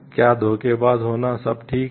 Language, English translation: Hindi, Is it all right to be deceptive